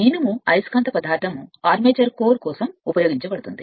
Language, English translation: Telugu, Iron being the magnetic material is used for armature core